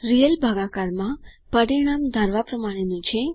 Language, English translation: Gujarati, In real division the result is as expected